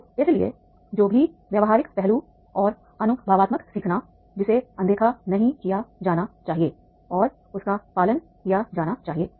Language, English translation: Hindi, So therefore whatever the practical aspects are there and experiential learning are there, that should not be ignored and that is to be followed